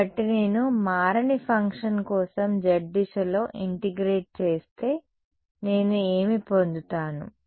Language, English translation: Telugu, So, if I integrate along the z direction for a function that does not change what will I have get